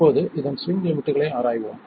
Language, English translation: Tamil, Now, let's see what happens at the swing limits